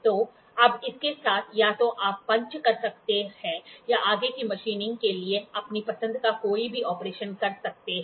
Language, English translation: Hindi, So, with this now either you can punch or you can do any operation of your choice for further machining